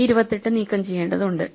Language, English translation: Malayalam, So, we need to remove this 28